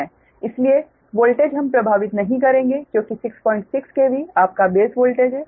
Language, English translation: Hindi, so voltage we will not effect because six point six k v is the ah base voltage